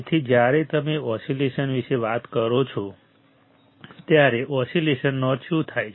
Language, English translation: Gujarati, So, when you talk about oscillations, what oscillations means right